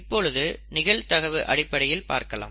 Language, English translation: Tamil, Now let us look at probabilities